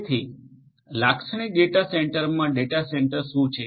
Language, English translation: Gujarati, So, in a typical data centre what is a data centre